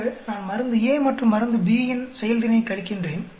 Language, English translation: Tamil, So I subtract the performance because of drug A and because drug B